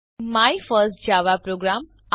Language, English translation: Gujarati, You will get the output My first java program